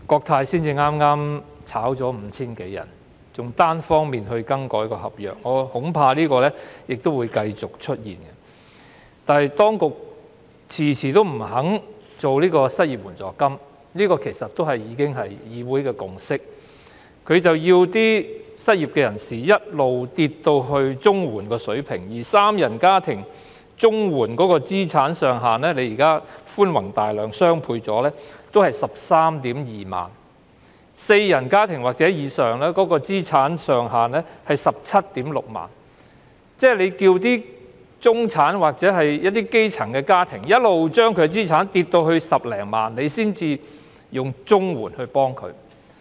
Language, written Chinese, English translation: Cantonese, 即使當局早前寬宏大量，把申領綜援的資產上限調高一倍，三人家庭的資產上限亦只是 132,000 元，四人或以上家庭的資產上限則是 176,000 元。當局為何要求中產或基層家庭的資產跌至10多萬元才以綜援來幫助他們？, Given that the Government has generously doubled the CSSA asset limits earlier on bringing the asset limit of a three - member family to 132,000 and the limit of a family with four or more members to 176,000 why does the Government require middle - class or grassroots families to deplete their assets to 100,000 or so before they are eligible to apply for CSSA?